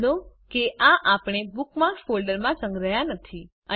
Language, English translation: Gujarati, Notice that we have not saved these bookmarks to a folder